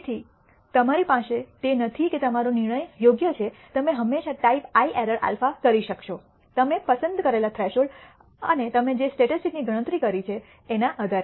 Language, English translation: Gujarati, So, you will have it is not that your decision is perfect you will always commit some type I error alpha depending on the threshold that you have selected and the statistic you have computed